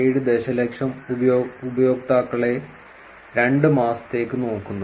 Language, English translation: Malayalam, 7 million users on Twitter for duration of two months